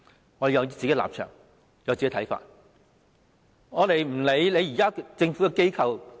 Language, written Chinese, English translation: Cantonese, 我們有本身的立場和看法，無須理會政府架構。, We should have our own stance and views and can therefore neglect any government structure